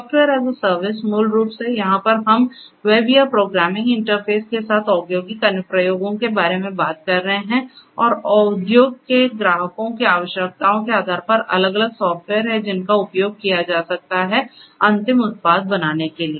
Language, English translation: Hindi, Software as a service basically over here we are talking about industrial applications with web or programming interface and based on the requirements of the industry clients, there are different software that could be used can subscribe to and these will serve for coming up with the final product